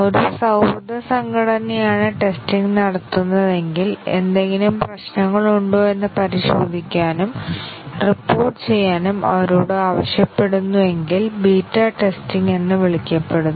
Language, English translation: Malayalam, And if the testing is done by a friendly organization, who are just asked to test and report if there are any problems that is called as the beta testing